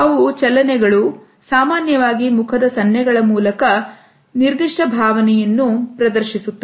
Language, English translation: Kannada, So, they are the movements, usually facial gestures which display specific emotion